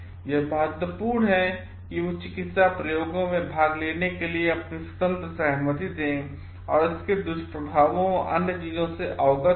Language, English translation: Hindi, It is important that they give their free will to participate in medical experiments and they are aware of it of the maybe the side effects and other things